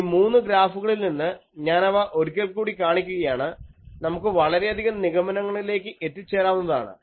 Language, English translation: Malayalam, Now, from these three graphs, I am again showing these, we can draw several conclusions